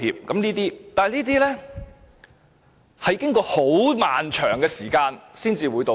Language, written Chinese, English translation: Cantonese, 但是，這些都是經過很漫長的時間後，才會道歉。, But all these apologies were made only after a prolonged period of time